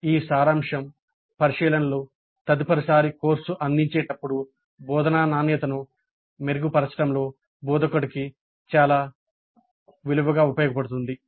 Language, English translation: Telugu, These summary observations will be very valuable to the instructor in improving the quality of instruction next time the course is offered